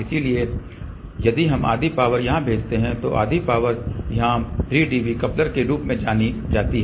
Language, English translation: Hindi, So, if we send half power here half power here this is known as a 3 dB coupler